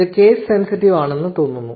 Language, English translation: Malayalam, So, this looks to be case sensitive